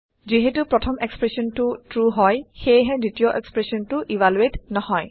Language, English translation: Assamese, Since the first expression is false, the second expression will not be evaluated